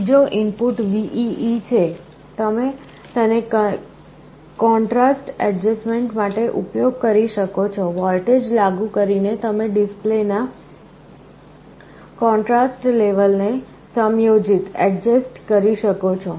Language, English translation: Gujarati, The third input VEE, this you can use for contrast adjustment, by applying a voltage you can adjust the contrast level of the display